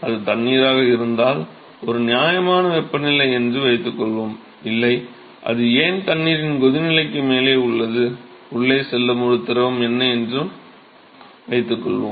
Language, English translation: Tamil, Suppose if it is water it is a reasonable temperature; no, why it is above the boiling point of water, supposing if a fluid that is going inside is water ok